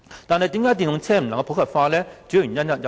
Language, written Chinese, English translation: Cantonese, 電動車未能普及化的原因有很多。, There are many reasons leading to the unpopularity of EVs